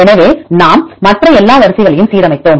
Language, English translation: Tamil, So, we aligned all the other sequences